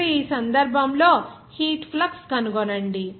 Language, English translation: Telugu, Now in this case, find the heat flux